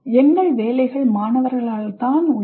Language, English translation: Tamil, So, our jobs exist because of the students